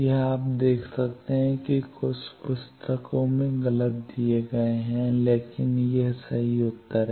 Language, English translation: Hindi, This is you can see in some books these are wrongly given, but these are correct answer